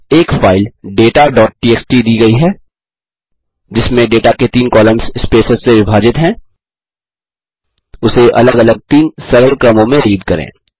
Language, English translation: Hindi, Given a file data.txt with three columns of data separated by spaces, read it into 3 separate simple sequences